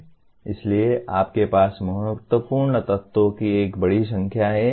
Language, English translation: Hindi, So you have a fairly large number of key elements